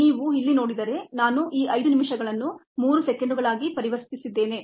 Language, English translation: Kannada, we see that i have converted this five minutes into three hundred seconds